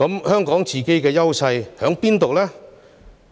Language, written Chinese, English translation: Cantonese, 香港本身的優勢是甚麼呢？, What are Hong Kongs inherent strengths?